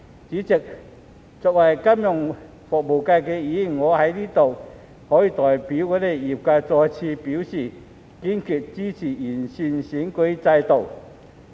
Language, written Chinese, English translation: Cantonese, 主席，作為金融服務界的議員，我在此代表業界，再次表示我們堅決支持完善選舉制度。, President as a Member of the financial services constituency I would like to express once again on behalf of the sector our staunch support for the improvement of the electoral system